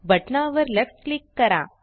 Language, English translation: Marathi, Left click on the button